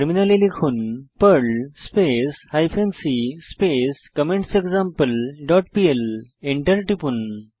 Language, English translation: Bengali, On the Terminal, type perl hyphen c comments dot pl and press Enter